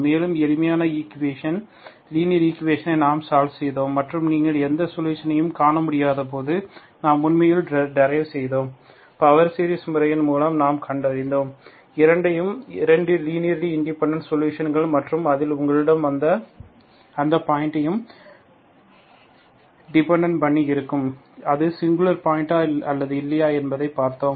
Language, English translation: Tamil, And simpler equations, linear equations we solved and when you cannot find any solution, we have actually devised, we found through power series method, we find both, 2 linearly independent solutions, so that depends on the point of whether you have singular point or not